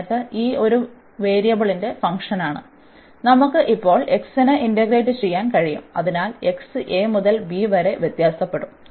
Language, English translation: Malayalam, And then this is a function of one variable and we can now integrate over the x, so the x will vary from a to b